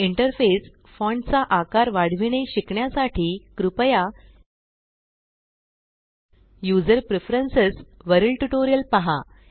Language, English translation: Marathi, To learn how to increase the Interface font size please see the tutorial on User Preferences